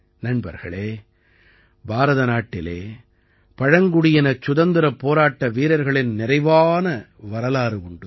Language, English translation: Tamil, Friends, India has a rich history of tribal warriors